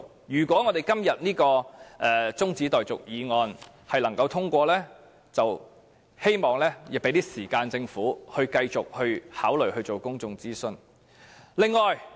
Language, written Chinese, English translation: Cantonese, 如果今天這項中止待續議案獲得通過，我希望政府會有更多時間繼續考慮進行公眾諮詢。, If this motion for adjournment of debate is passed today I hope the Government will have more time to further consider conducting public consultations